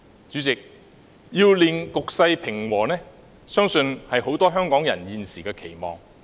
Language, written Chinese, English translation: Cantonese, 主席，令局勢平和，相信是很多香港人現時的期望。, President I believe it is the present wish of many Hong Kong people to restore peace